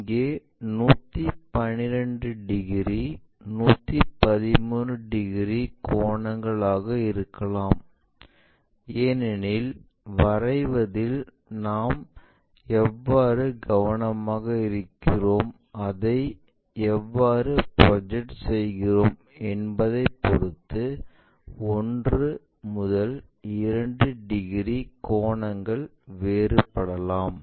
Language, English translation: Tamil, Here 112 degrees, 113 degrees it is because of your drawing lines, how careful we are in terms of drawing it, how we are projecting it, based on that these one two degrees angle always be fluctuating